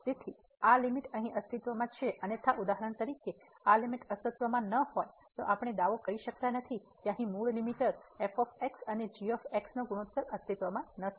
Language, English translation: Gujarati, So, this limit here exist otherwise for example, this limit does not exist we cannot claim that the original limiter here of the ratio over does not exist